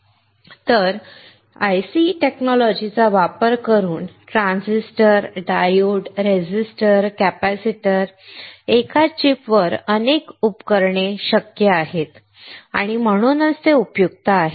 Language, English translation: Marathi, A lot of devices transistors, diodes, resistors, capacitors on a single chip is possible using the IC technology and that is why it is extremely useful